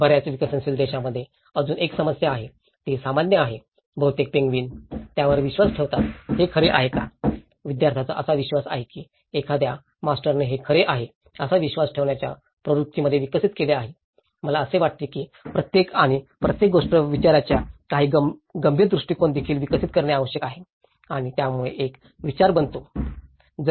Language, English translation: Marathi, There is also another problem in many of the developing countries of course, it is common; is it true just most penguins believe it so, students tend to believe that some master have developed in the trend to believe that it is true so, I think we need to also develop certain critical approaches of questioning each and everything and that makes a thought process